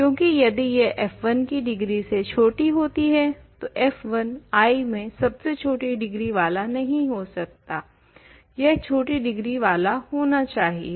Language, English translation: Hindi, Because, if it is smaller than the degree of f 1 is not the smallest degree of an element in I, it has smaller degree elements